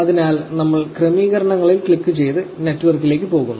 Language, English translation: Malayalam, So, we click on settings and we go to network